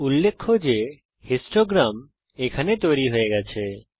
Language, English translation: Bengali, Notice that the histogram is created here